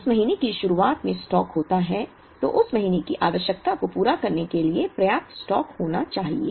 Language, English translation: Hindi, If there is stock at the beginning of that month, then there should be enough stock to meet the requirement of that month